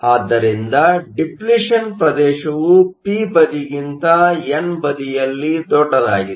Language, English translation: Kannada, So, the depletion region is larger on the n side then on the p side